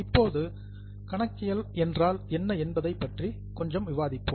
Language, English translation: Tamil, Now we will discuss a bit as to what is accounting